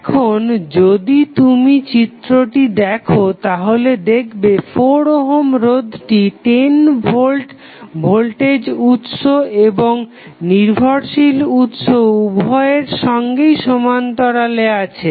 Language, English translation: Bengali, Now, if you see the figure that 4 ohm resistor is in parallel with 10 volt voltage source and 4 ohm resistor is also parallel with dependent current source